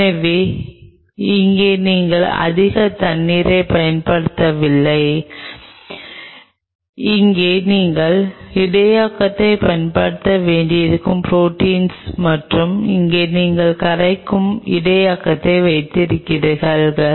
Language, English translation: Tamil, So, here you are not using any more water you may have to use the buffer here is the collagen protein and here you have the buffer in which this is dissolved